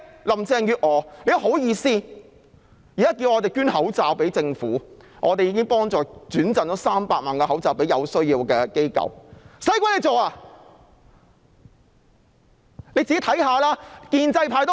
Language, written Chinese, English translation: Cantonese, 林鄭月娥現在還厚着臉皮叫我們捐口罩予政府，我們已轉贈300萬個口罩予有需要的機構，何須她去做？, Now Carrie LAM has even shamelessly asked us to donate masks to the Government . We have passed on 3 million masks to organizations in need . Why should she do that?